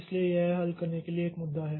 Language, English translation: Hindi, So that is an an issue to be solved